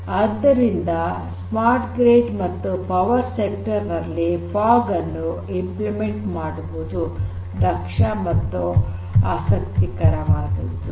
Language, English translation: Kannada, So, that is why in the case of smart grid and power sector as well this thing is very interesting the implementation of fog is very interesting and efficient